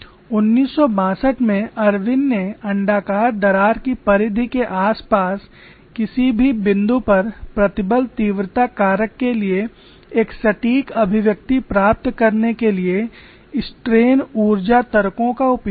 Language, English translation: Hindi, Irwin in 1962 used strain energy arguments to derive an exact expression for the stress intensity factor at any point around the perimeter of elliptical crack which is very complex